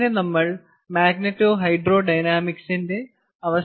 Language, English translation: Malayalam, so we will end this lecture on magneto hydro dynamics